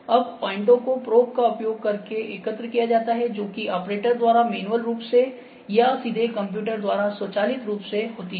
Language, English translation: Hindi, Now, these points are collect by using a probe that is position manually by an operator or automatically by direct computer control